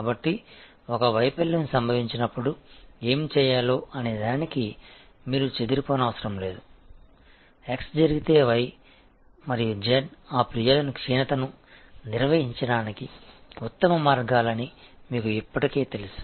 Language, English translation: Telugu, So, that you do not have to scamper around in a failure occurs about what to do, you already know that if x is happen, then y and z are the best ways to handle that complain or that lapse